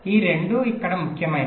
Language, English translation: Telugu, both of this will be important here